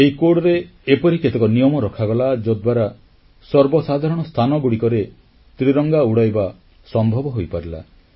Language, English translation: Odia, A number of such rules have been included in this code which made it possible to unfurl the tricolor in public places